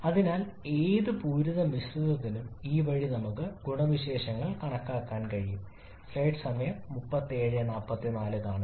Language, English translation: Malayalam, So this way for any saturated mixture we can always calculate the properties